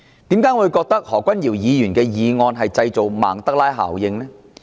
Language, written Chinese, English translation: Cantonese, 為何我會覺得何君堯議員的議案製造曼德拉效應呢？, Why do I think that Dr Junius HOs motion seeks to create a Mandela effect?